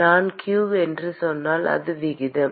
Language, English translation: Tamil, When I say q, it is rate